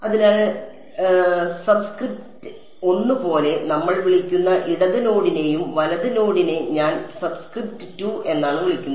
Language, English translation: Malayalam, So, those the left node we are calling as with subscript 1 and the right node I am calling subscript 2